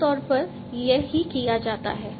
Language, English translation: Hindi, This is typically what is done